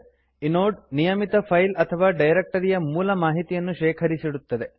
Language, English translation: Kannada, Inode stores basic information about a regular file or a directory